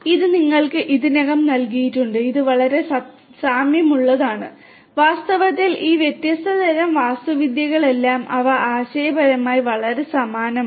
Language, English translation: Malayalam, And it is already given to you and it is very similar actually all these different types of architectures they are conceptually they are very similar